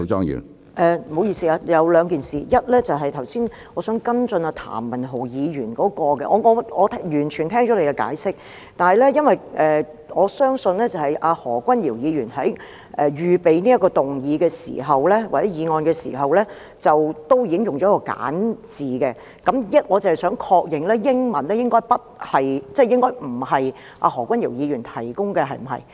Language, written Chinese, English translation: Cantonese, 不好意思，有兩件事：第一，我想跟進譚文豪議員剛才的問題；我已經聽到主席的解釋，但我相信何君堯議員在預備這項議案時，已經使用簡化版，我只是想確認，英文譯本應該不是由何君堯議員提供的，對嗎？, Excuse me there are two issues First I wish to follow up on the question raised by Mr Jeremy TAM just now . I have heard Presidents explanation but as I believe that Dr Junius HO had already used the simplified version when he prepared this motion I would just like to seek confirmation that the English translation was provided by Dr Junius HO right?